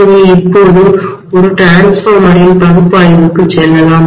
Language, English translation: Tamil, So let us now go to the analysis of a transformer